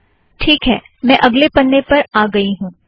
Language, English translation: Hindi, And lets go to the next page